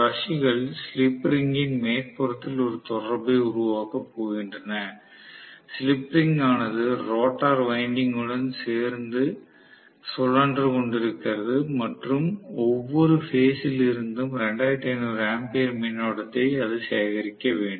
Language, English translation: Tamil, The brushes are going to make a contact on the top of the slip ring, the slip ring is rotating along with the rotor winding and a have to collect 2500 ampere of current from every phase, right